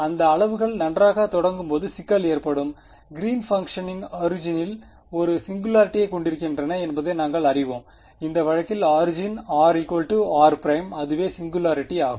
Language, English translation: Tamil, The trouble will happen when these quantities begin to well we know that Green’s functions have a singularity at the origin; origin in this case means when r is equal to r prime